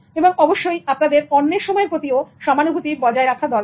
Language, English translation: Bengali, And you should be empathetic about others' time